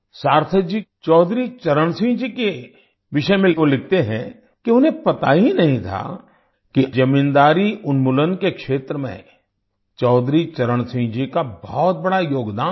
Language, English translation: Hindi, On Chaudhary Charan Singh ji, Sarthak ji writes that he was unaware of Chaudhary Charan Singh ji's great contribution in the field of zamindari abolition